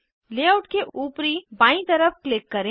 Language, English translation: Hindi, Click on the Top left side of layout